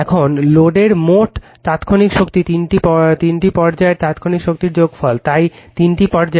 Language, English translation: Bengali, Now, the total instantaneous power in the load is the sum of the instantaneous power in the three phases right, so all the three phases right